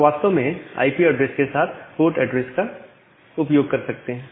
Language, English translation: Hindi, You can actually use the port address along with the IP address